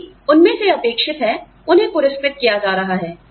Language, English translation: Hindi, Whatever is expected of them, they are being rewarded